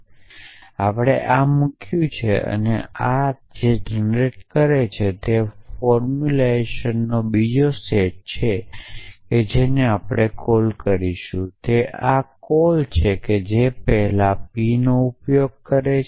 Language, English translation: Gujarati, And we put this essentially and what this will produce is another set of formulize which we will call is what is the call this that is let me, because I use the symbol p earlier